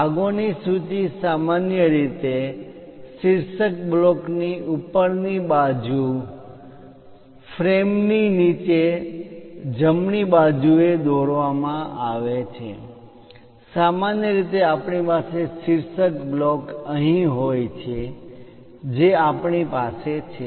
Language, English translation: Gujarati, The bill of materials is usually placed at the bottom right of the drawing frame just above the title block usually we have title block here above that we have this